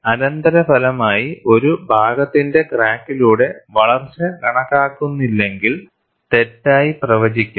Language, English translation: Malayalam, The consequence is, growth of a part through crack could be wrongly predicted, if not accounted for